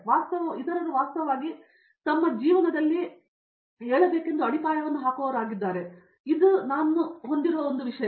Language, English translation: Kannada, So, we are someone who actually puts the foundation for others to actually arise up in their life, so that is one thing which I have